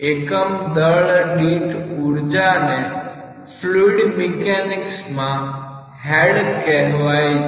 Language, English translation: Gujarati, Energy per unit weight in fluid mechanics is known as head